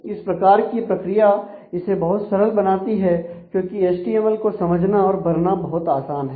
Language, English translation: Hindi, So, this kind of a mechanism is makes it very easy because a it is quite easy to conceive of the HTML and fill in